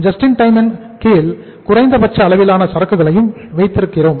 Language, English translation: Tamil, We keep the minimum level of inventory under the JIT also